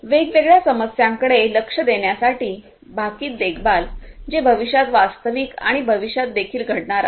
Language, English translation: Marathi, Predictive maintenance such as addressing different issues, that are going to happen in real time in the future now and also in the future